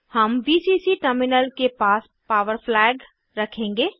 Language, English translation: Hindi, We will place the Power flag near Vcc terminal